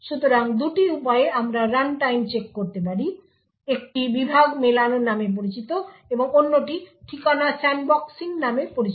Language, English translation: Bengali, So, there are two ways in which we could do runtime check one is known as Segment Matching and the other one is known as Address Sandboxing